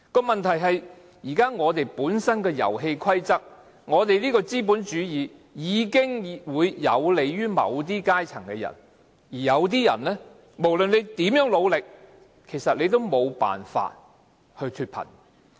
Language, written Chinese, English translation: Cantonese, 問題是現在本身的遊戲規則下，我們的資本主義已經有利於某些階層的人，而有些人無論如何努力，也無法脫貧。, The problem is that the present operation of our capitalism under the rules of the game has come to favour just certain social strata and other people are never able to extricate themselves from poverty no matter how hard they work